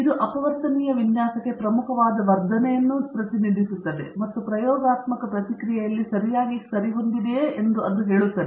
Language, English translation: Kannada, It also represents an important augmentation to the factorial design and it tells whether there is a curvature in the experimental response okay